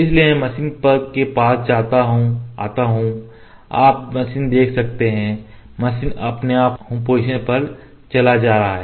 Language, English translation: Hindi, So, I will come to machine you can see the machine is going to home position by itself